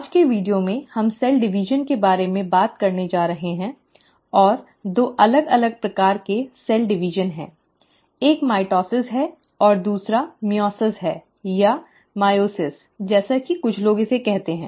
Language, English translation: Hindi, In today’s video, we are going to talk about cell division, and there are two different kinds of cell divisions, and one is mitosis and the other is meiosis, or ‘Myosis’ as some people call it